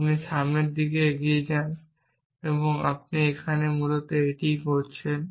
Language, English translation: Bengali, You move in the forward direction and this what we have doing here essentially